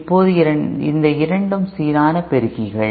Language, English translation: Tamil, Now in both these balanced amplifiers